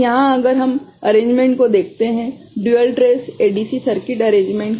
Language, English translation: Hindi, So, here if we look at the arrangement, the dual trace ADC circuit arrangement